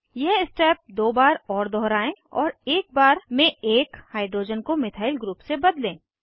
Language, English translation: Hindi, Repeat this step another 2 times and replace one hydrogen at a time with a methyl group